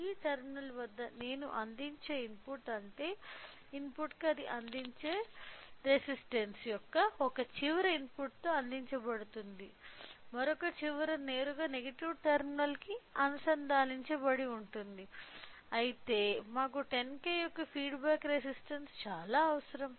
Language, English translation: Telugu, So, input I will be providing at this terminal; so, that means, to the input one end of the resistance it is provided with it will be providing with a input whereas, other end is directly connected to the negative terminal whereas, whereas, we require a feedback resistance of 10K